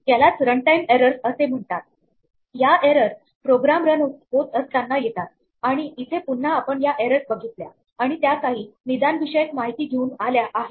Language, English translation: Marathi, These are what are called run time errors these are errors that happen while the program is running and here again we have seen these errors and they come with some diagnostic information